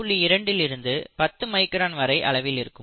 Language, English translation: Tamil, 2 to 10 microns